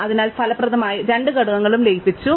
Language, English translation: Malayalam, So, effectively the two components have been merged